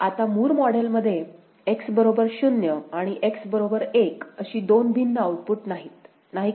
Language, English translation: Marathi, Now in Moore model, there will be no two different outputs for X is equal to 0 and X is equal to 1; is not it